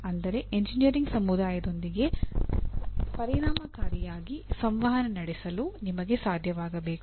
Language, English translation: Kannada, That is you should be able to communicate effective with engineering community